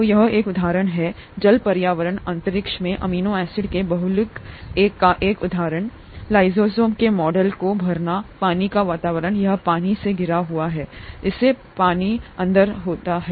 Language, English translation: Hindi, So this is the example, an example of a polymer of amino acids in a water environment, space filling model of lysozyme, water environment, this is surrounded with water, it has to be in water